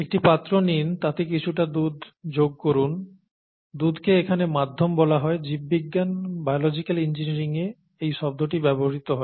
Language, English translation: Bengali, Take a vessel here, pour some milk into it, milk is called the medium; this is a term that is used in biology, biology, biological engineering and so on